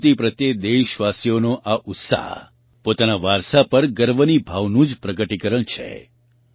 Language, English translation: Gujarati, Friends, this enthusiasm of the countrymen towards their art and culture is a manifestation of the feeling of 'pride in our heritage'